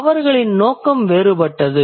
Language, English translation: Tamil, Their intention was different